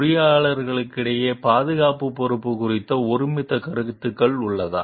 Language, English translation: Tamil, Is there a consensus on the responsibility of safety amongst engineers